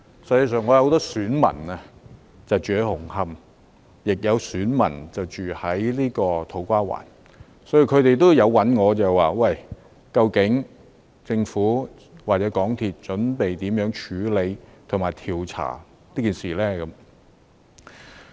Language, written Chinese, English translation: Cantonese, 事實上，我有很多選民居住在紅磡和土瓜灣，他們也有問我究竟政府或香港鐵路有限公司準備如何處理和調查事件。, As a matter of fact many of my constituents are living in Hung Hom and To Kwa Wan and they have asked me how the Government or the MTR Corporation Limited MTRCL is going to handle and look into the incidents